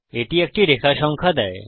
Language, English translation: Bengali, It gives us a line number